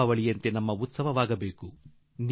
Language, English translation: Kannada, Just like Diwali, it should be our own festival